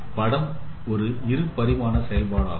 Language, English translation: Tamil, So image is a two dimensional function